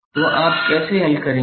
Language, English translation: Hindi, So, how you will solve